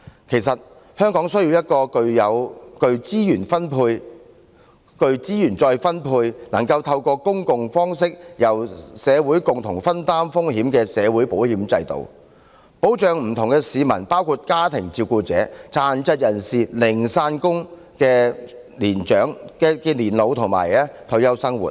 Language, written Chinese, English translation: Cantonese, 其實，香港需要一個具資源再分配、能夠透過公共方式由社會共同分擔風險的社會保險制度，保障不同市民，包括家庭照顧者、殘疾人士和零散工人的年老及退休生活。, In fact what Hong Kong needs is a social insurance system that enables risk sharing by the community and administration through a public scheme which serves the function of redistribution of resources thereby providing protection for old age and retirement to all members of the public including family carers people with disabilities and casual workers